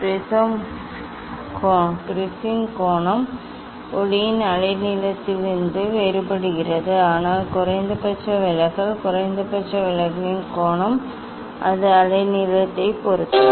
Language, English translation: Tamil, Angle of the prism does the different on the wavelength of the light, but minimum deviation; angle of minimum deviation it depends on the wavelength